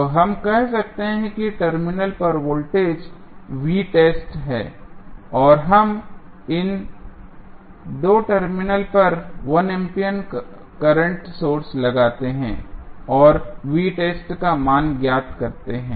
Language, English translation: Hindi, So, let us say the voltage across terminal is V test and we apply 1 ampere current source across these 2 terminals and find out the value of V test